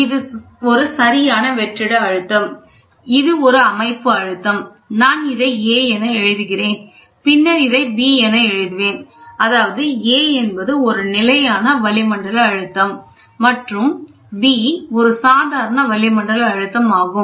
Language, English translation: Tamil, So, this is perfect vacuum, this is system pressure, this is I am writing it as A and then I will writing it as B; that A is nothing but standard atmospheric pressure and B is nothing but local reference pressure